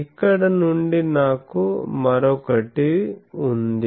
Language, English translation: Telugu, From here I have another